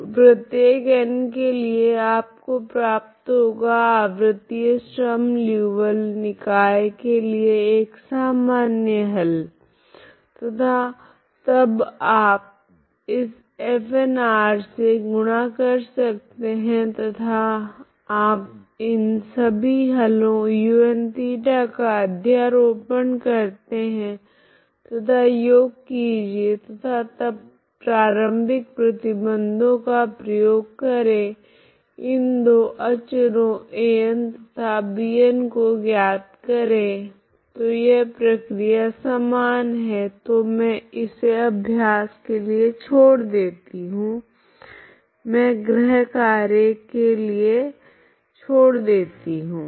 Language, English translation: Hindi, So for each n this is a general solution of this periodic Sturm Liouville system and then you can multiply with this Fn r and make a superposition of all these solutions un of theta and take a sum and then apply the initial conditions to find those two constants An and Bn so that the same way procedure is same so I leave it as an exercise and I give you in the assignment so the same problem I can give you as an exercise in assignment problems that we will see later, okay